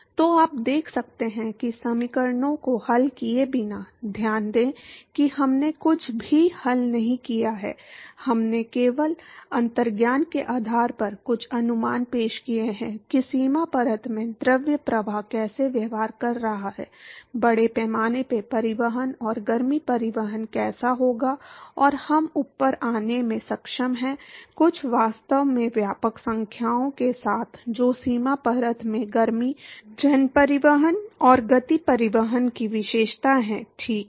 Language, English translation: Hindi, So, you can see that, without solving the equations; note that we have not solved anything, all we have done is we have introduced some approximations simply based on intuition as to how the fluid flow is behaving in the boundary layer, how mass transport and heat transport would occur and we are able to come up with some really comprehensive numbers which sort of characterizes the heat, mass transport and momentum transport in the boundary layer, ok